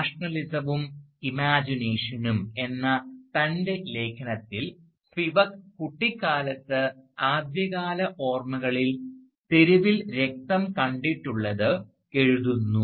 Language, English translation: Malayalam, Thus, in her essay "Nationalism and Imagination," Spivak writes, that her earliest memories as a child are those of seeing blood on the streets and she emphasises on the statement